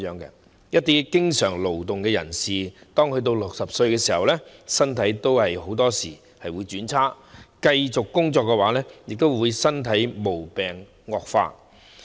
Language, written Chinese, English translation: Cantonese, 對一些經常勞動的人士來說，他們60歲時，身體往往會轉差，繼續工作便會令身體的毛病惡化。, As regards some vocational labourers their health usually deteriorates when they turn 60 and continuing to work will worsen their physical condition